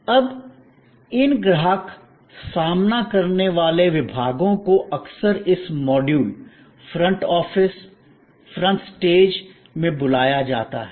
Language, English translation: Hindi, Now, these customer facing departments are often called in this module, the front office, the front stage